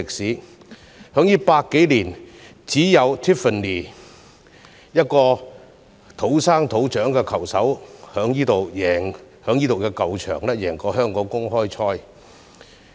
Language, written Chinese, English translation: Cantonese, 在這100多年來，只有 Tiffany 一位土生土長的球手在這個球場贏得香港公開賽。, In the past 100 years or so Tiffany was the only golfer born and bred in Hong Kong winning the Hong Kong Open at this course